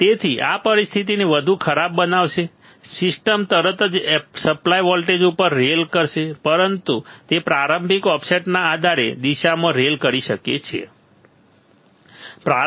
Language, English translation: Gujarati, So, ma this will make the situation worse the system will immediately rail at the supply voltage, it could rail either direction depending on the initial offset, right